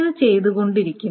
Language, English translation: Malayalam, It just keeps doing it